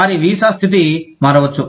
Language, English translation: Telugu, Their visa status, may change